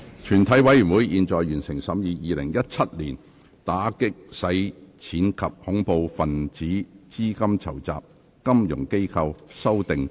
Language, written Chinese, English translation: Cantonese, 全體委員會已完成審議《2017年打擊洗錢及恐怖分子資金籌集條例草案》的所有程序。, All the proceedings on the Anti - Money Laundering and Counter - Terrorist Financing Amendment Bill 2017 have been concluded in committee of the whole Council